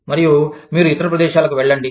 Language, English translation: Telugu, And, you want to move into different areas